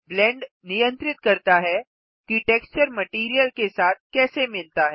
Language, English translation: Hindi, Blend controls how the texture blends with the material